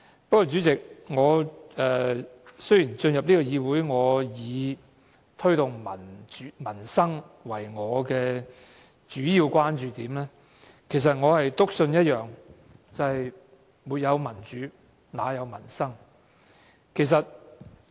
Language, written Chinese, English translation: Cantonese, 不過，主席，雖然我進入議會是以推動民生為我的主要關注點，但我篤信一件事，便是沒有民主，哪有民生？, However President although improving peoples wellbeing has been my main concern as a Legislative Council Member I firmly believe that without democracy peoples wellbeing cannot be improved